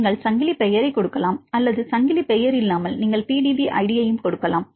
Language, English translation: Tamil, here I gave the 2LZM right either you can give the chain name or without chain name also you can give the PDB id